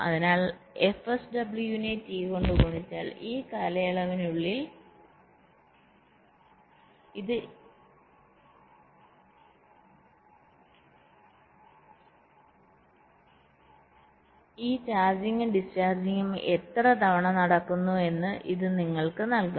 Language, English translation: Malayalam, sw multiplied by t, this will give you at how many times this charging and discharging is taking place within this time period t